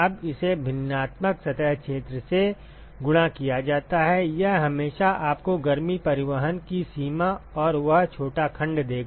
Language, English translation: Hindi, Now, that is multiplied by the fractional surface area it will always give you what is the extent of heat transport and that small section